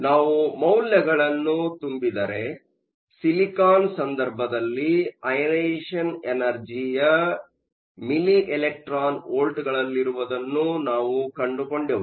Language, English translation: Kannada, If we fill in the numbers, in the case of silicon, we found out that the ionization energy in milli electron volts